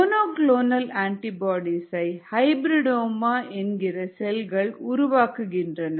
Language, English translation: Tamil, monoclonal antibodies are made by cells called hybridomas